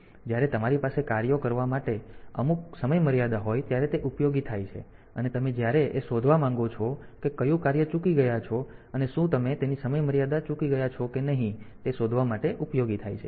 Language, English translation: Gujarati, So, they are useful when you have when you have got some deadlines for tasks and you want to detect whether the task has missed it is deadline or not